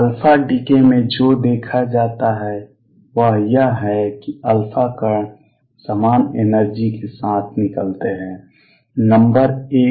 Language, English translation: Hindi, What is seen in alpha decay is alpha particles come out with the same energy, number 1